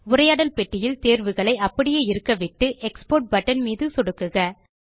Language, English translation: Tamil, In the PDF options dialog box, leave all the options as they are and click on the Export button